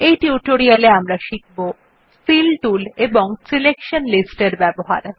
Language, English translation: Bengali, In this tutorial we will learn about: Speed up using Fill tools and Selection lists